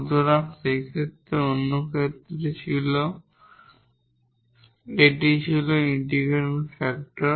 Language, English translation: Bengali, In the other case, this was the integrating factor